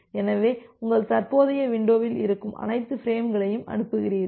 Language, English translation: Tamil, So, you transmit all the frames which are there in your current window